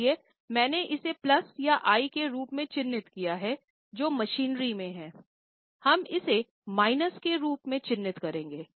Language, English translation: Hindi, So, I have marked it as plus and in I that is in the machinery we will mark it as minus